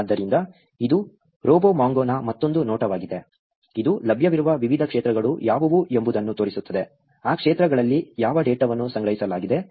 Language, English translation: Kannada, So, this is another view of RoboMongo, which shows you what are the different fields that are available; what data is stored in those fields